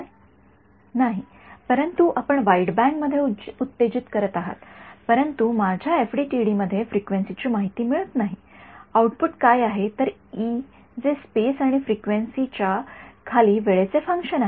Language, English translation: Marathi, No, but we are exciting into the wideband, but I am not getting frequency information in my FDTSs output is what E as a function of space and time below frequency